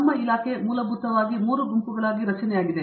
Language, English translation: Kannada, Our department is basically kind of structured into 3 groups